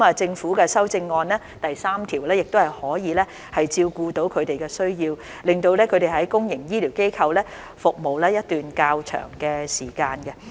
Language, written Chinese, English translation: Cantonese, 政府的修正案第3條亦可以照顧他們的需要，令他們在公營醫療機構服務一段較長的時間。, Clause 3 of the amendments proposed by the Government can cater for their needs and allow them to serve in public healthcare institutions for a longer period of time